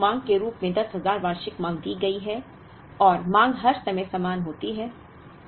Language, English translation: Hindi, Whereas, there is annual demand of 10,000 was given as an annual demand and the demand is the same at every instance of time